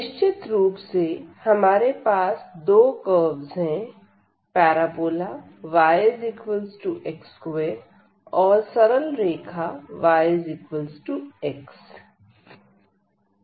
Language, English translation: Hindi, So, we have two curves here: one is the parabola y is equal to x square, and the other one is the straight line y is equal to x